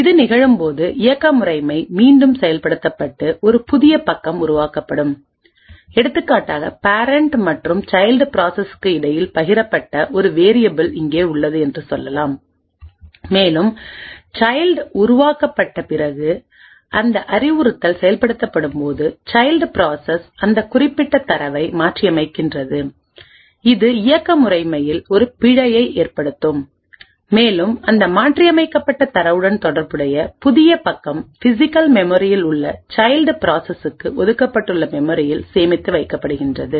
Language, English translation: Tamil, When this happens, then the operating system gets invoked again and a new page gets created for example, let us say we have one variable which is shared between the parent and the child process and let us say after the child gets created, the child process modifies that particular data when that instruction gets executed it would result in a fault in operating system and a new page corresponding to that modified data gets allocated to the child process in the physical memory